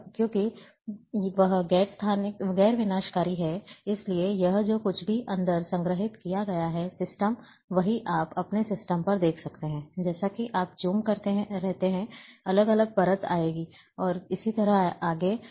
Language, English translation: Hindi, And since it is non destructive, so, whatever it has been stored inside, the system, same you are able to see on your system, as you keep zooming, different layer will come and so and so forth